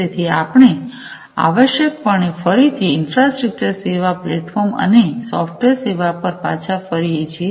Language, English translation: Gujarati, So, essentially we are again falling back on infrastructure infrastructure as a service, platform as a service, and software as a service